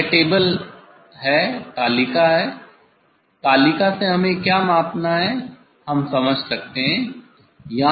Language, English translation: Hindi, this is the table; from the table what we have to measure we can understand